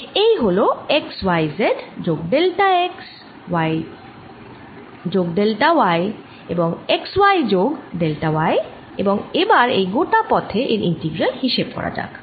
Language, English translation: Bengali, so i am going to take it like this: this is x, y, x plus delta, x, y, x plus delta, x, y plus delta y, x, y plus delta y, and let us calculate this integral over this entire path